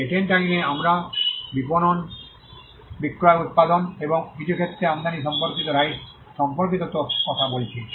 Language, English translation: Bengali, In patent law we are talking about rights relating to manufacture marketing sale and in some cases importation